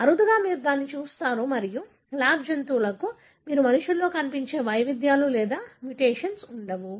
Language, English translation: Telugu, Rarely you see that and lab animals do not have variations or mutation like, what you see in human